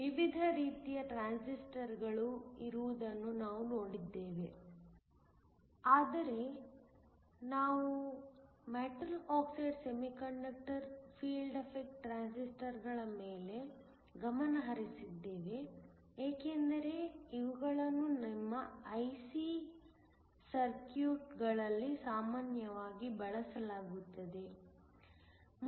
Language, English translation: Kannada, We saw that there were different kinds of transistors, but we focused on the metal oxide semiconductor field effect transistors because these are the ones that are commonly used in your IC circuits